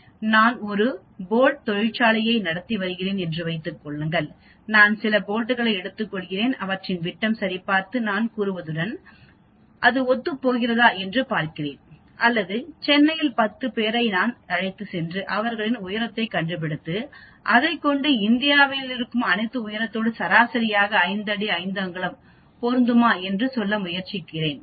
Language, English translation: Tamil, Suppose I am running a bolt factory, I take a few bolts and check their diameter and see whether it conforms with what I claim or if I take 10 people in Chennai and find their height and I will try to see whether it matches with the Indian height average of 5 feet 5 inches but that is a sample that is a very small number n